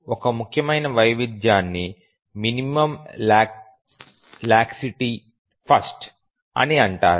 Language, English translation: Telugu, One important variation is called as a minimum laxity first